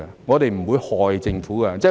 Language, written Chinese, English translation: Cantonese, 我們不會害政府的。, We are not trying to do a disservice to the Government